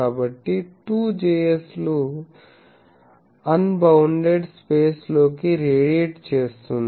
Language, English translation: Telugu, So, 2 Js is radiating into an unbounded space